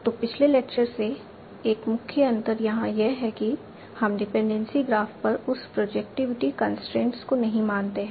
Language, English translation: Hindi, So the one main difference from the previous one is that we do not assume that projectivity constraint over the dependency graph